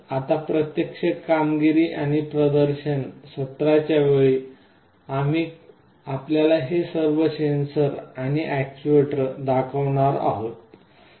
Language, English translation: Marathi, Now during the actual hands on and demonstration sessions, we shall be showing you all these sensors and actuators in use